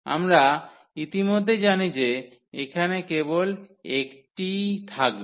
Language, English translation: Bengali, So, we know already that there would be only one